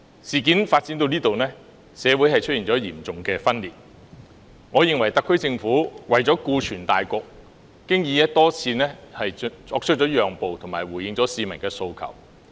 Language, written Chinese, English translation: Cantonese, 事件至此，社會已出現嚴重分裂，我認為特區政府為了顧全大局，已經多次作出讓步及回應市民的訴求。, With the incident having come to this pass society has been seriously torn apart . In my view for the sake of the greater good the SAR Government has repeatedly made concessions and responded to the peoples aspirations